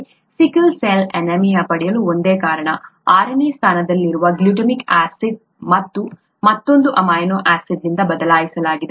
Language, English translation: Kannada, ThatÕs the only reason why we get sickle cell anaemia; this glutamic acid at the sixth position has been replaced by another amino acid